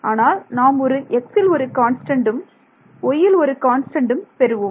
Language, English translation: Tamil, So, I will not get a x; x y term but I will get a constant term x into y